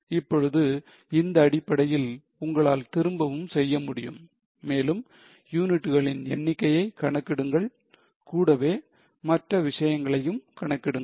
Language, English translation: Tamil, Now, based on this, you can work back and compute the number of units and also compute the other things